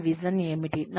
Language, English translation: Telugu, What is my vision